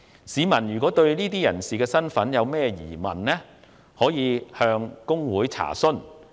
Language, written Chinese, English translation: Cantonese, 市民如對個別人士的身份有任何疑問，可以向公會查詢。, If the public have doubts about the identity of an individual enquiries can be made with HKICPA